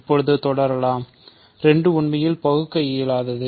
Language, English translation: Tamil, So, let us continue now, 2 is actually irreducible